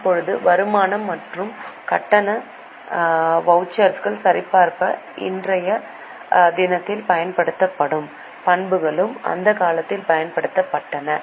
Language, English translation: Tamil, Now, the attributes used in the present day for verifying income and payment vouchers were also used in those times